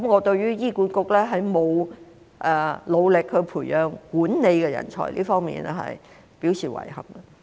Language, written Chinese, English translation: Cantonese, 對於醫管局未有努力培養管理人才，我表示遺憾。, I regret that HA has not made effort to nurture management talents